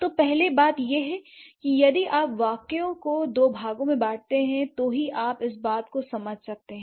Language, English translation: Hindi, So first point, if cut the sentence into two parts, then only you can understand